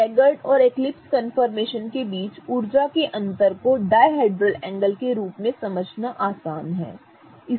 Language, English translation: Hindi, It is easier to discuss the energy differences between the eclipse and staggered form in terms of the dihedral angle